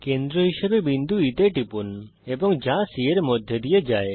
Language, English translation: Bengali, Click on point E as centre and which passes through C